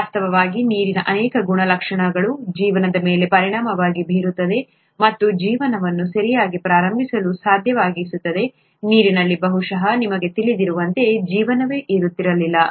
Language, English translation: Kannada, In fact many properties of water impact life and make life possible to begin with okay, without water probably there won’t have been a life as we know it